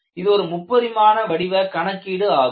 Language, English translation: Tamil, It is a three dimensional problem